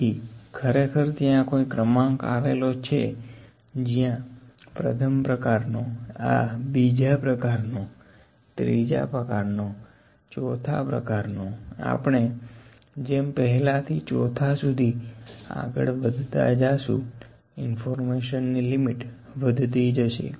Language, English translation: Gujarati, So, actually, there is an order associated where this is the first kind, this is a second kind, this is the third, this is the fourth, as we are moving from the first to fourth the extent of information is increasing